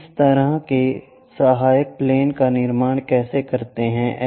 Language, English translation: Hindi, How do we construct this kind of auxiliary planes